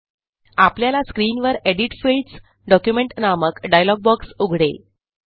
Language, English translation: Marathi, We see that the Edit Fields: Document dialog box appears on the screen